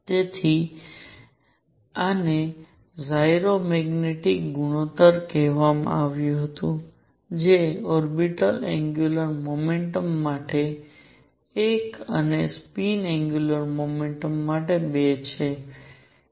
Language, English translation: Gujarati, So, this was called the gyro magnetic ratio which is one for orbital angular momentum and 2 for a spin angular momentum